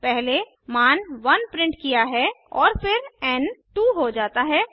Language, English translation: Hindi, First, the value 1 is printed and then n becomes 2